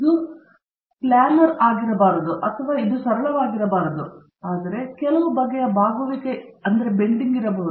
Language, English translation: Kannada, It may not be a planar or it may not be a simple, but there may be some kind of curvature